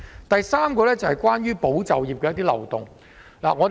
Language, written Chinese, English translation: Cantonese, 第三，我想談談有關"保就業"的漏洞。, Third I want to talk about a loophole of the Employment Support Scheme ESS